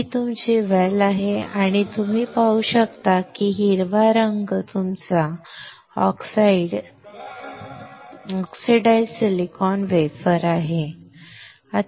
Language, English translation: Marathi, This is your well and you can see green color is your oxidized silicon wafer